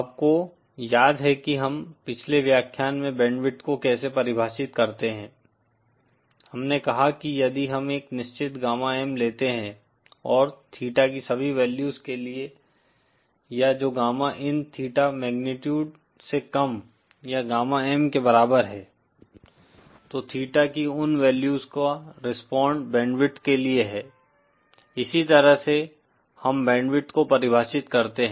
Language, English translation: Hindi, You recall how we define the band width in the previous lecture, we said that if we take a certain gamma M and for all values of theta or which gamma in theta magnitude is lesser or equal to gamma M then those values of theta respond to the band width, that is how we define the band width